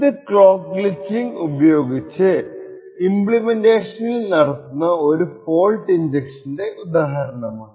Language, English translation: Malayalam, So this is an example of fault injection using clock glitching so what we have here is an AES implementation